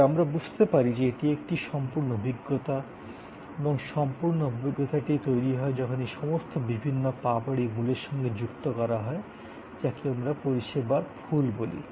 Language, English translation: Bengali, But, we understand that, it is a total experience and the total experience is created, when all this different petals are added to the core to create what we call the service flower